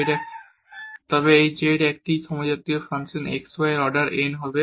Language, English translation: Bengali, Therefore, this is a function of homogeneous function of order n